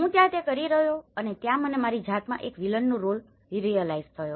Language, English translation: Gujarati, So that is what I was doing and there I realize a villain role in myself